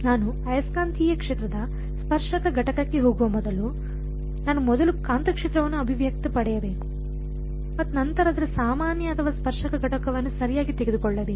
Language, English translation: Kannada, Before I get to tangential component of the magnetic field, I should just I should first get an expression for the magnetic field and then take its normal or tangential component right